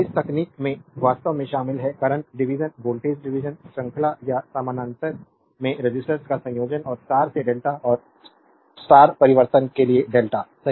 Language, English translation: Hindi, This technique actually include; the current division, voltage division, combining resistors in series or parallel and star to delta and delta to star transformation, right